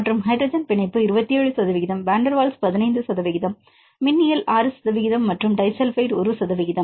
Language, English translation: Tamil, And the hydrogen bonding up to 27 percent; van der Waals 15 percent, electrostatic 6 percent and the disulfide 1 percent